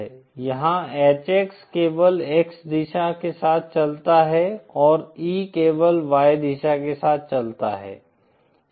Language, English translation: Hindi, Here HX is oriented only along the X direction and E is oriented only along the Y direction